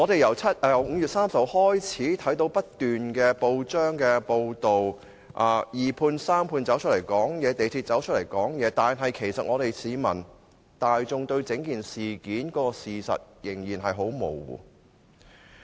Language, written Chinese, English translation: Cantonese, 由5月30日開始，不斷有報章報道二判、三判及香港鐵路有限公司的說話，但市民大眾對整件事件的事實仍然很模糊。, Since 30 May the press has time and again reported the remarks made by the subcontractor the sub - subcontractor and the MTR Corporation Limited MTRCL but members of the public still fail to get a full picture of the whole incident